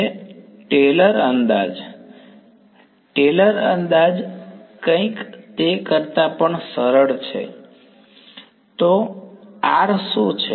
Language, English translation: Gujarati, Taylor approximation Taylor approximation something even simpler than that; so, what is r prime